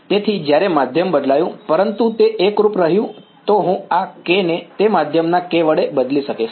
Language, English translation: Gujarati, So, when the medium changed, but it remained homogenous then I could replace this k by the k of that medium